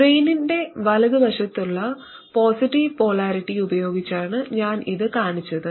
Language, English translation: Malayalam, I have shown this with the positive polarity to the right towards the drain